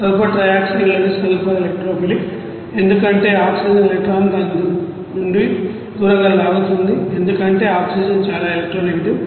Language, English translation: Telugu, The sulfur in sulfur trioxide is electrophilic because the oxygen pull electrons away from it because oxygen is very electronegative